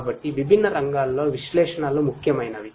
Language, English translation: Telugu, So, analytics is important in different fronts